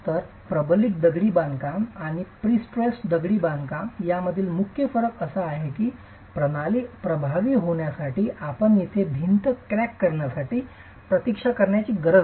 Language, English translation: Marathi, So, the main difference between reinforced masonry and pre stress masonry is that here you don't have to wait for the wall to crack for the system to be effective